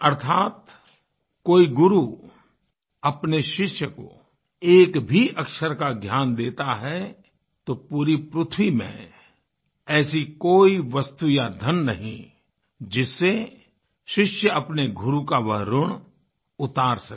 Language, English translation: Hindi, Thereby meaning, when a guru imparts even an iota of knowledge to the student, there is no material or wealth on the entire earth that the student can make use of, to repay the guru